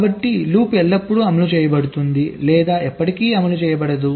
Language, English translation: Telugu, so loop is either always executed or never executed